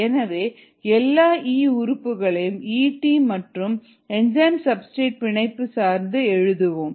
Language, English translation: Tamil, therefore, let us write e in terms of e t and the enzyme substrate complex